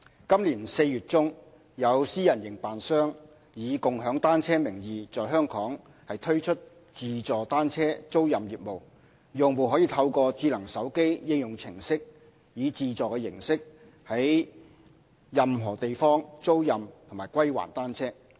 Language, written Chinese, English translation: Cantonese, 今年4月中，有私人營辦商以"共享單車"名義在本港推出自助單車租賃業務，用戶可透過智能手機應用程式以自助形式在任何地方租賃和歸還單車。, In mid - April this year a private operator launched an automated bicycle rental service in Hong Kong in the name of bicycle - sharing . It allows customers to rent and return bicycles anywhere on a self - service basis through a smartphone application